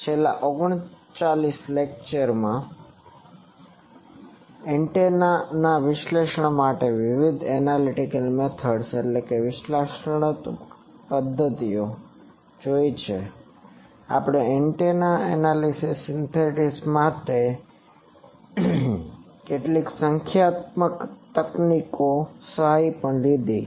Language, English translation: Gujarati, For last 39 lectures, we have seen various analytical methods to analyze the antenna; we also took the help of various numerical techniques some numerical techniques to have the antennas analysis synthesis etc